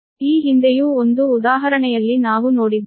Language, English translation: Kannada, earlier also in one example we have seen right